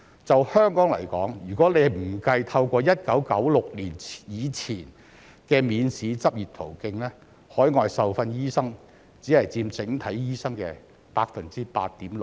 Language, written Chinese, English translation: Cantonese, 就香港來說，如果不計透過1996年以前的免試執業途徑，海外受訓醫生只佔整體醫生的 8.6%。, As far as Hong Kong is concerned overseas - trained doctors represent only 8.6 % of all doctors if examination - free entry before 1996 is excluded